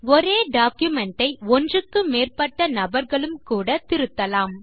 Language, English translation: Tamil, More than one person can edit the same document